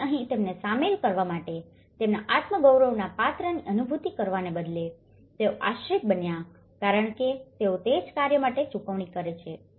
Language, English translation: Gujarati, So, here, instead of making them involved and realize the self esteem character of it, here, they have become dependent because they are getting paid for that own work